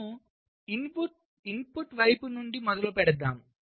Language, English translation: Telugu, so we start from the input side